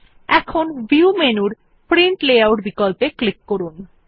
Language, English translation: Bengali, Now lets us click on Print Layout option in View menu